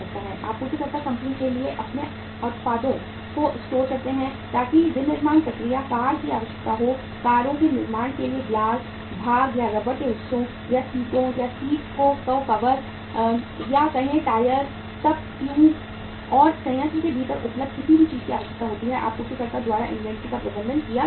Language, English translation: Hindi, Suppliers store their products for the company so as and when the manufacturing process, car requires, cars manufacturing requires glass, part or the rubber parts or the seats or the seat covers or the say tyre then tubes and anything that is available within the plant, the inventory is being managed by the supplier